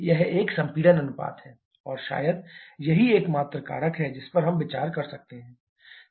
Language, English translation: Hindi, That is a compression ratio and that is probably the only factor that we can consider